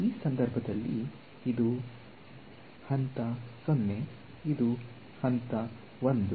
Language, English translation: Kannada, In this case this is order 0, this is order 1